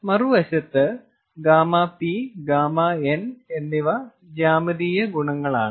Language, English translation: Malayalam, on the other hand, gamma p and gamma n are geometric properties